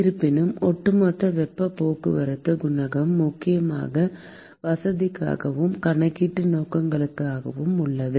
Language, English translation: Tamil, However, overall heat transport coefficient is mainly for convenience purposes and for calculation purposes